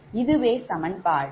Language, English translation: Tamil, this is equation seven